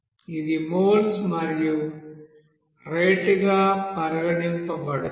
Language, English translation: Telugu, It will be considered as a mole also as a rate